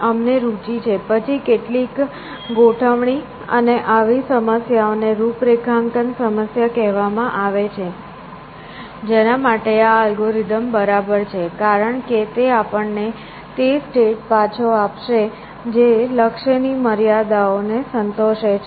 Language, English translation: Gujarati, We are interested, then some configuration and such problems are called configuration problem, for which this algorithm is fine because, it will return to us a state with satisfies the goal constraints